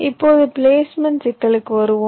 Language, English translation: Tamil, ok, now coming to the placement problem